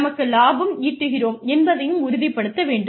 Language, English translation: Tamil, We also need to make sure that, we make profits